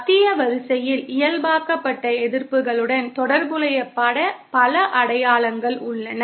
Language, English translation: Tamil, And the Central line has many markings corresponding to the normalised resistances